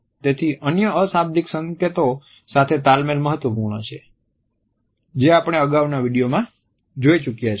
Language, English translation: Gujarati, So, clustering with other nonverbal signals is important as we have already seen in the previous video